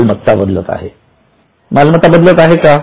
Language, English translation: Marathi, Are the assets changing